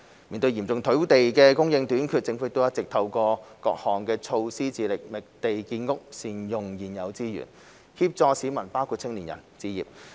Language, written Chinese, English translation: Cantonese, 面對嚴重土地供應短缺，政府一直透過各項措施，致力覓地建屋和善用現有資源，協助市民包括青年人置業。, In view of the serious shortage of land supply the Government has been taking various measures such as identifying land for housing development and making better use of the current resources to support members of the public including young people to achieve home ownership